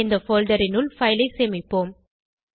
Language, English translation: Tamil, We will save the file inside this folder